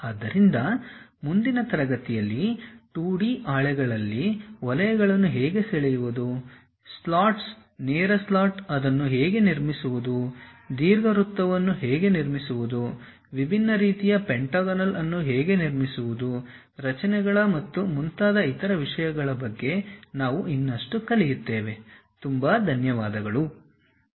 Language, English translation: Kannada, So, in the next class we will learn more about other kind of things like how to draw circles on 2D sheets perhaps something like slots, straight slot how to construct it, how to construct ellipse, how to construct different kind of pentagonal kind of structures and other things